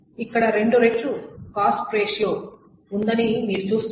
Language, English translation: Telugu, So you see there is a cost ratio of about two times here